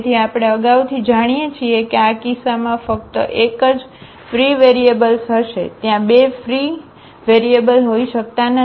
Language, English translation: Gujarati, So, we know in advance that there will be only one free variable in this case, there cannot be two free variables